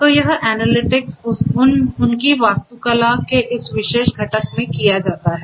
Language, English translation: Hindi, So, this analytics is performed in this particular component of this their architecture